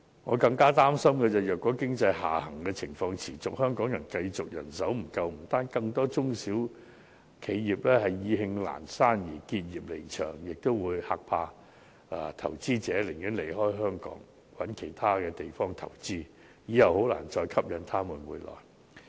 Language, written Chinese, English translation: Cantonese, 我更加擔心的是如經濟下行情況持續，香港繼續人手不足，不單令更多中小企因意興闌珊而結業離場，也會嚇怕投資者，令他們寧願離開香港，另覓其他地方投資，以後很難再吸引他們回來。, It is even more worrying that should the economic downturn persist and Hong Kong continue to be caught in this manpower shortage not only will more small and medium enterprises close down their business and leave because they have lost interest but investors will also be scared away . As a result they will prefer to leave Hong Kong and make investments in other places . It will be very difficult to lure them back in future